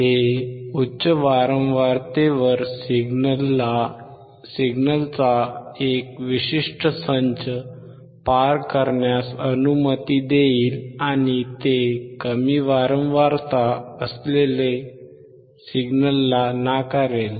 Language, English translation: Marathi, It will allow a certain set of signals at high frequency to pass and it will reject low frequency signals